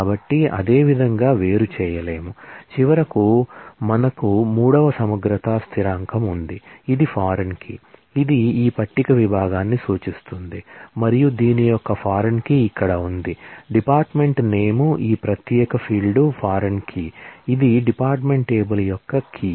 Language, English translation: Telugu, So, it will not be able to distinguish similarly, we have finally we have the third integrity constant which is foreign key which says that, it is referencing this table department and the foreign key of this is here, the dep name this particular field is a foreign key, which is a key of the department table